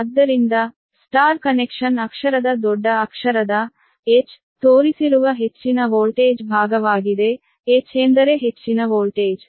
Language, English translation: Kannada, so the star connection be the high voltage side shown by the letter capital h will high voltage with stand for h, we will take h